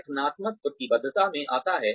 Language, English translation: Hindi, Organizational commitment comes in